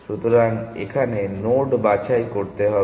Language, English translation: Bengali, So, it will have to pick the node